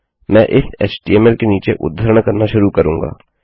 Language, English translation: Hindi, Ill start quoting underneath this HTML